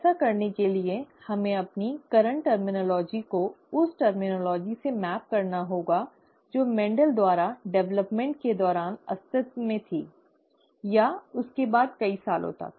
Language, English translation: Hindi, To do that, let us, we will have to map our current terminology to the terminology that existed during the development by Mendel, okay, or, soon after that for many years